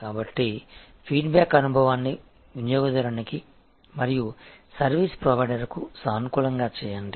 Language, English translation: Telugu, So, make the feedback experience, positive for both the customer as well as for the service provider